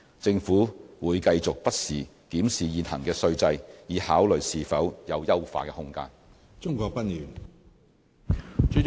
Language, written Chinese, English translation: Cantonese, 政府會繼續不時檢視現行的稅制，以考慮是否有優化的空間。, The Government will continue to review the prevailing tax regime from time to time so as to explore whether there is room for improvement